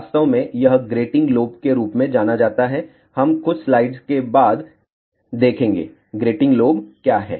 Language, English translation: Hindi, In fact, this is known as grating lobes we will see after few slides, what is grating lobe